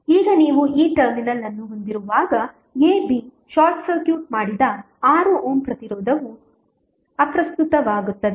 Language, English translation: Kannada, Now, when you have this terminal a, b short circuited the 6 ohm resistance will become irrelevant